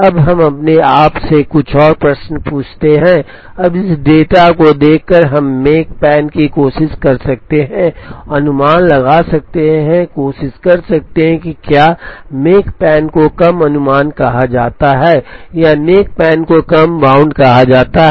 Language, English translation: Hindi, Now, let us ask yourselves a few more questions, now by looking at this data, can we try and estimate the makespan, try and have what is called a lower estimate to the makespan or a lower bound to the makespan